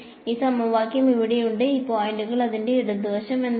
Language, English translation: Malayalam, This equation over here, what is the left hand side of it for these points